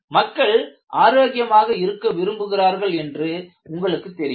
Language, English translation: Tamil, You know, people want to be healthy